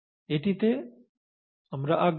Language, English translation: Bengali, This is what we are interested in